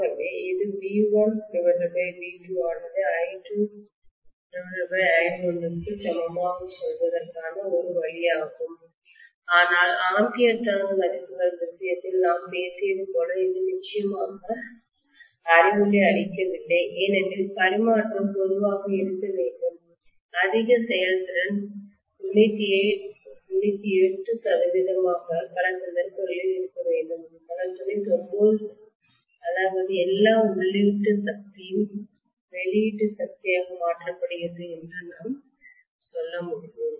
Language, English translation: Tamil, So this is one way of saying V1 by V2 equal to I2 by I1 but definitely it is not as enlightening as what we talked about in the case of ampere turn values because the transfer must normally have, as high efficiency as 98 percent or 99 percent in many cases which means I can say almost all the input power is converted into output power